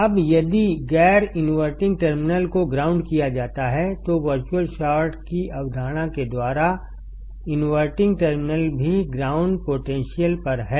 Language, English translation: Hindi, Now, if the non inverting terminal is grounded, by the concept of virtual short, inverting terminal also is at ground potential